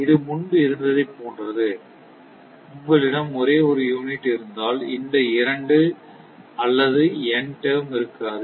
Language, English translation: Tamil, So, this is your same as before if if you have only one unit, then this one or two one or in term will not exist